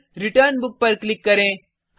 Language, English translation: Hindi, Then click on Return Book